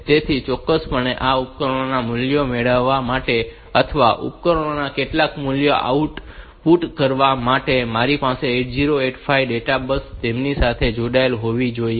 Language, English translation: Gujarati, So, definitely for getting the values form these devices or to output some values to the devices, I should have the data bus of the 8085 connected to them